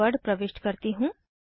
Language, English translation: Hindi, Let me enter the password